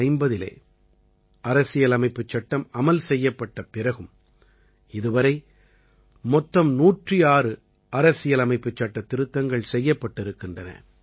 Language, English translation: Tamil, Even after the Constitution came into force in 1950, till this day, a total of 106 Amendments have been carried out in the Constitution